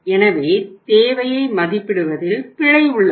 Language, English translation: Tamil, So here is the error in estimating the demand or forecasting the demand